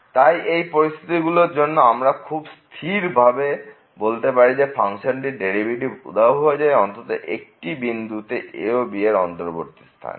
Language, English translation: Bengali, So, under those conditions it is guaranteed that the function will derivative of the function will vanish at least at one point in the open interval (a, b)